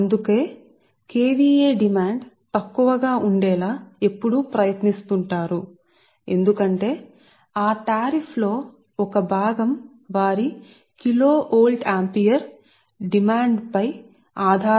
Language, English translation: Telugu, so thats why they will always try to see that kva demand is less because they one part of that tariff is based on their kilo volt, ampere or kva demand